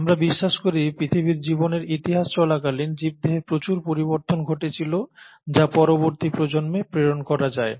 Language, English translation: Bengali, We believe, during the course of history of earth’s life, a lot of changes happened in organisms which went on, being passed on to subsequent generations